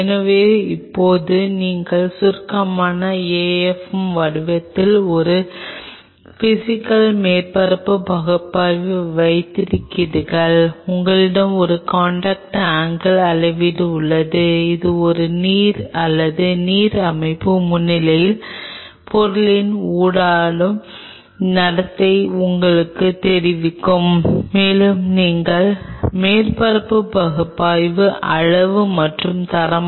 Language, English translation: Tamil, So, now if you summarize you have a physical surface analysis in the form of afm you have a contact angle measurement which will tell you the interactive behavior of the material in the presence of water or aqueous system and you have a surface analysis both quantitative and qualitative